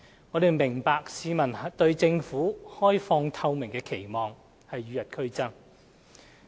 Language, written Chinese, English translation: Cantonese, 我們明白市民對政府開放透明的期望與日俱增。, We understand that the publics expectation for an open and transparent Government has been increasing